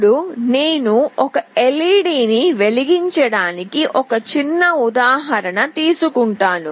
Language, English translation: Telugu, Now, I will take a small example to blink an LED